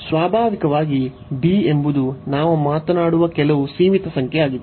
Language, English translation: Kannada, Naturally, b is some finite number we are talking about